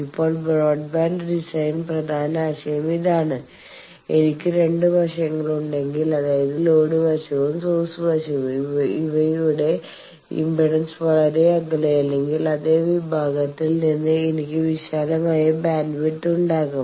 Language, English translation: Malayalam, Now, this is the key idea for broadband design that if I have the two sides that means, load side and source side impedance's they are not very far away then I have a wider bandwidth from the same section